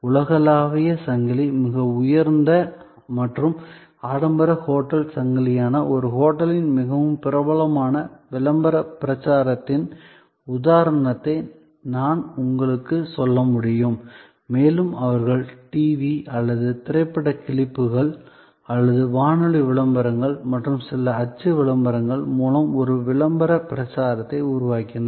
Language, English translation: Tamil, I can tell you the example of a very famous promotion campaign of a hotel, which is a very high and luxury hotel chain, global chain and they created a promotion campaign which showed on TV or in movie clips or through radio ads and some print ads